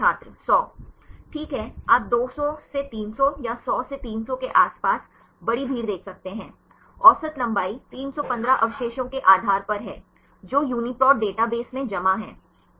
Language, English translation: Hindi, Right you can see large crowd around 200 to 300 or 100 to 300; average length is 315 residues depending upon the sequences, deposited in the UniProt database